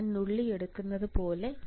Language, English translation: Malayalam, As if I am pinching off